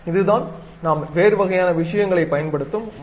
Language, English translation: Tamil, This is the way we use different kind of things